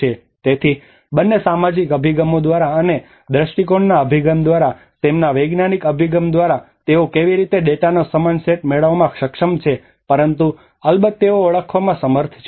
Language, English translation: Gujarati, So by both by the social approaches and as perception approach and by their scientific approaches how they have able to get a similar set of data but of course they could able to identify